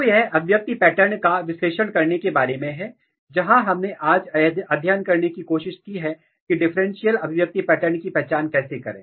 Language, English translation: Hindi, So, this is is analyzing expression pattern, where we have tried to study today how to identify differential expression pattern